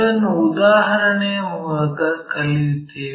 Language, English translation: Kannada, And, let us learn that through an example